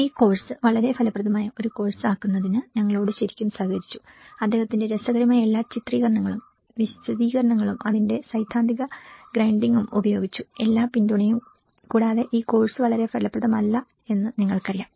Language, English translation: Malayalam, Who have really cooperated with us in making this course a very fruitful course, with his all very interesting illustrations, explanations, the theoretical grinding on it so you know, thatís this course without all this support it has not been very fruitful